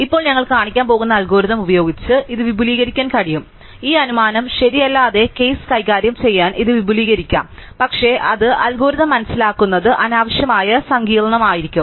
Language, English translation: Malayalam, Now, it can be extended by algorithm we are going to show, it can be extended to deal with the case where this assumption is not true, but it will then unnecessarily complicate the understanding of the algorithm